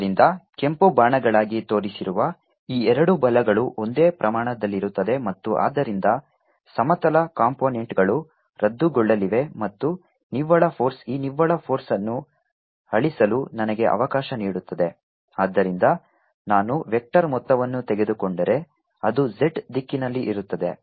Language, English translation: Kannada, so these two forces shown be red arrows are going to have the same magnitude and therefore their horizontal components will are going to be cancelling and the net force let me erase this net force therefore, if i take a vector sum, is going to be in the z direction